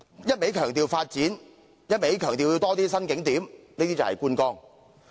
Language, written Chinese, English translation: Cantonese, 一味強調發展，一味強調要增加新景點，這便是觀光。, If one simply emphasizes development of new tourist attractions he is basically talking about sightseeing